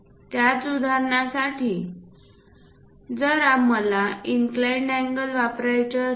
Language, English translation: Marathi, For the same example, if I would like to use inclined angles